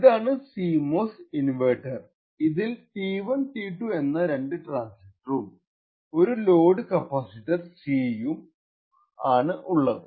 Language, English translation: Malayalam, So, this is the CMOS inverter, it comprises of two transistors T1 and T2 and a load capacitor C